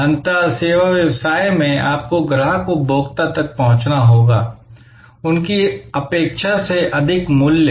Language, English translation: Hindi, Ultimately in services business, you have to deliver to the customer consumer, more value than they expected